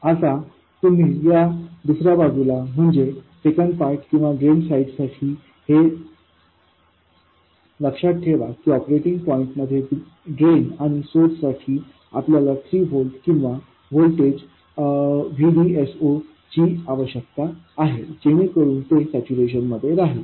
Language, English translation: Marathi, Now what do we do for the other side, the second port or the drain side, remember what we need is 3 volts or some voltage VDS 0 across drain and source in the operating point so that it remains in saturation